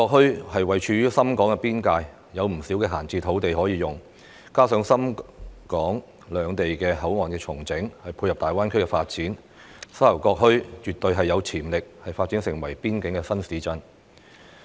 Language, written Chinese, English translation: Cantonese, 沙頭角墟位處深港邊界，有不少閒置土地可用，加上深港兩地的口岸重整，配合大灣區發展，沙頭角墟絕對有潛力發展成為邊境新市鎮。, The Sha Tau Kok Town is located at the Shenzhen - Hong Kong border and there is a lot of idle land available for use . Coupled with the relocation of Shenzhen - Hong Kong boundary control points and complementing the development of the Greater Bay Area the Sha Tau Kok Town definitely has the potential for development into a new border town